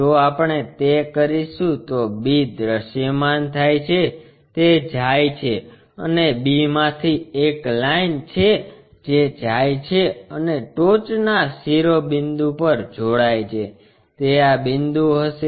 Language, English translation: Gujarati, If we do that b will be visible it goes and from b there is a line which goes and joins the top apex that one will be this one